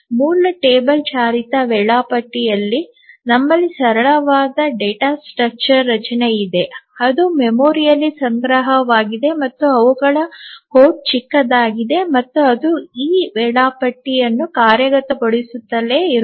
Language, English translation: Kannada, So, here as you can see in a basic travel driven scheduler we have a simple data structure that is stored in the memory and the code is small and it just keeps on executing this schedule